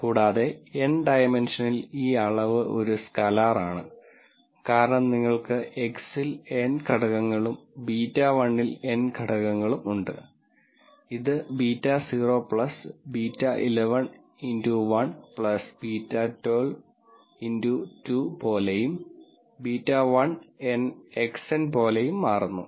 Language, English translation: Malayalam, And in n dimensions this quantity is a scalar, because you have X elements n elements in X and n elements in beta 1 and this becomes something like beta naught plus beta 1 1 X 1 plus beta 1 2 X 2 and so on beta 1 and X n